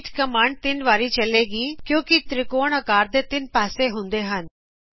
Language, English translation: Punjabi, repeat command is followed by the number 3, because a triangle has 3 sides